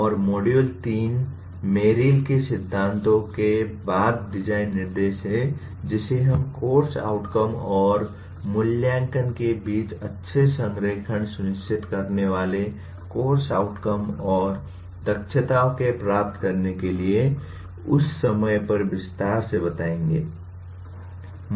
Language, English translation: Hindi, And module 3 is design instruction following Merrill’s principles which we will elaborate at that time for attaining the course outcomes and competencies ensuring good alignment between course outcomes, assessment and instruction